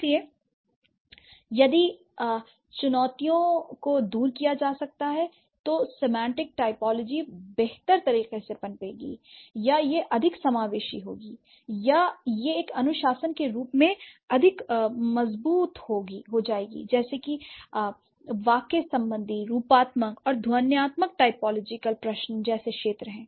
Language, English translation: Hindi, So, if these challenges can be overcome, then semantic typology would flourish in a better way or it will be more inclusive or it's going to be more robust as a discipline much like syntactic, morphological and phonological typological questions that we have dealt with